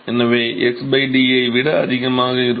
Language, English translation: Tamil, So, it will be much higher than the x by d